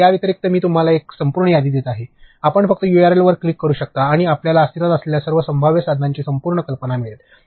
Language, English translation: Marathi, So, other than these I have giving you an entire list, you can just click on the URL and you will get Complete idea of all possible tools that exist